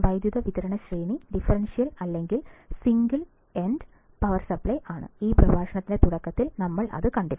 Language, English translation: Malayalam, Power supply range may be the differential or single ended power supply kind, we have seen in the starting of this lecture